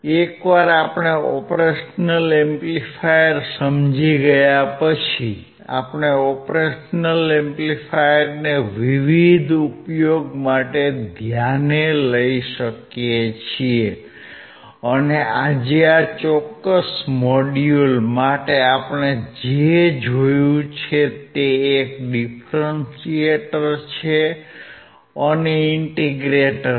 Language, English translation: Gujarati, Once we understand operation amplifier, we can use this operation amplifier for different application and today for this particular module, what we have seen is a differentiator and an integrator